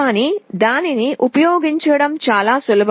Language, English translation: Telugu, But to use it is extremely simple